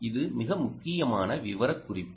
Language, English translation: Tamil, very important specification